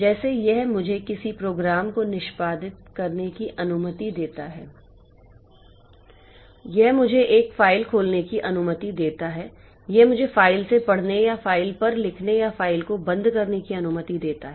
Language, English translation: Hindi, So, you can think of an operating system as if it provides me a set of services like it allows me to execute a program, it allows me to open a file, it allows me to read from the file or write onto the file or closing the file